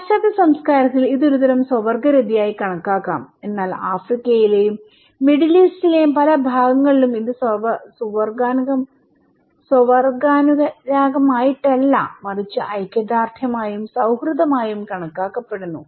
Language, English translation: Malayalam, This is could be considered in Western culture as a kind of homosexuality but in many part of Africa and Middle East this is considered to be as not homosexual but solidarity and also friendship showing friendship